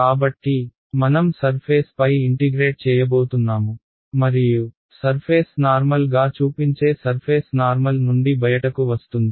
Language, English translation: Telugu, So, I can say, I am going to integrate over the surface and what way is the surface normal pointing the surface normal is coming out of the board ok